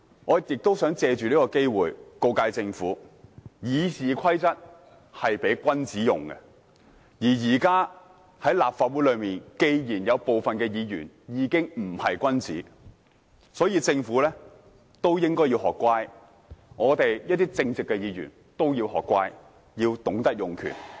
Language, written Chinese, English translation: Cantonese, 我也想借此機會告誡政府，《議事規則》是供君子使用的，既然現時有部分立法會議員已經不是君子，政府應該學乖，我們這些正直的議員也要學乖，要懂得用權。, I would also like to take this opportunity to caution the Government that RoP is made for gentlemen . Since some Members of the Legislative Council are no longer gentlemen the Government should learn the lesson . We Members who are straight should also learn the lesson and exercise our power